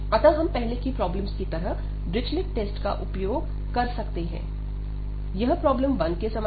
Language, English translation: Hindi, So, we can use that Dirichlet test like we have done in the earlier problems, so this is similar to the problem number 1